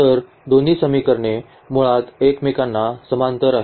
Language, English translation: Marathi, So, both the equations are basically parallel to each other